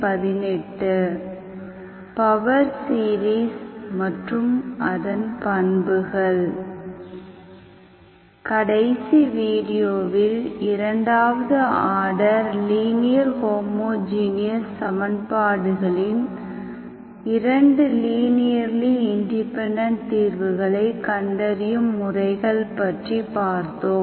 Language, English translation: Tamil, Up to last video, we have seen the methods to find 2 linearly independent solutions of second order linear homogeneous equations